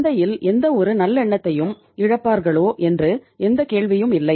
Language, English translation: Tamil, There is no question of say losing any any goodwill in the market